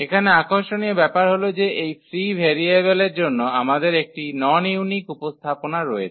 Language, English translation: Bengali, What is interesting here that we have a non unique representation because of this free variable